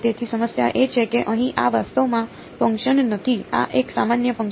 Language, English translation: Gujarati, So, the problem is that here this is not actually a function this is a generalized function